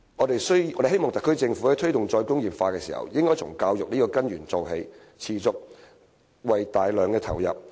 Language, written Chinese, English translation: Cantonese, 特區政府在推動"再工業化"時，應從教育這根源做起，持續而大量地投入資源。, In promoting re - industrialization the SAR Government should start with education which is the core of the matter and devote substantial resources to it continuously